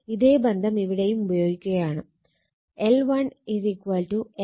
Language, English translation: Malayalam, So, same relation we are using L 1 is equal to N 1 phi 1 upon i 1